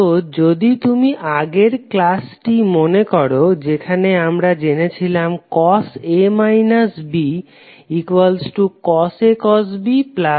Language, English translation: Bengali, So if you recollect the previous lectures we discuss cos A minus B is nothing but cos A cos B plus sin A sin B